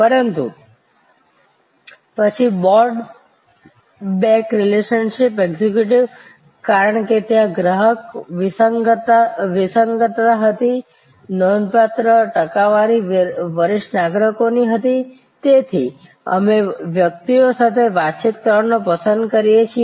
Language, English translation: Gujarati, But, then board back relationship executives, because there was a customer dissonance, because a significant percentage of senior citizens, we like to interact with persons